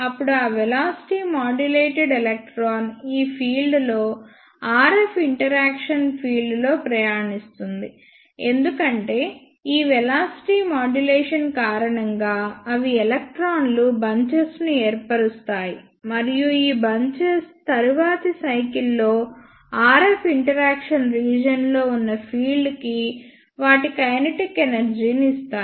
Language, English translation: Telugu, Then those velocity modulated electron will travel in this field RF interaction field, because of this velocity modulation, they will form bunches of electron and these bunches will give their kinetic energy to the field present in the RF interaction region in the next cycle